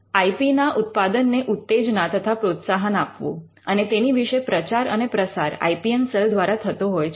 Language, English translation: Gujarati, Promoting and encouraging IP generation is quite lot of promotion and advocacy that happens through the IPM cell